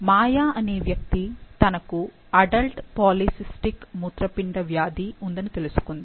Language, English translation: Telugu, Maya has just learned that she has adult polycystic kidney disease